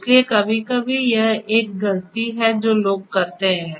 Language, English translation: Hindi, So, sometimes that is a mistake that people commit